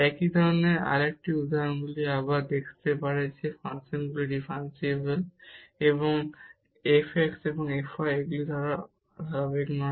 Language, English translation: Bengali, Another example of similar kind one can show again here that the function is differentiable and f x and f y they are not continuous